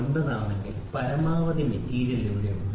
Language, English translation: Malayalam, 9, there is maximum amount of material